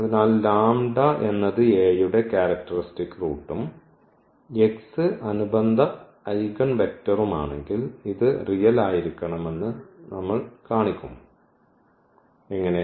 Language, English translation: Malayalam, So, if lambda be a characteristic root of A and lambda the corresponding eigenvector and then we will show that this lambda has to be real, how